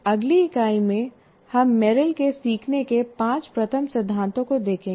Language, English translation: Hindi, And in the next unit, we will be looking at Merrill's five first principles of learning